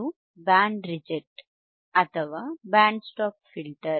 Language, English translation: Kannada, This is Band Reject or Band Stop filter